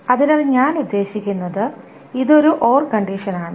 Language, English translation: Malayalam, So, I mean, this is an all condition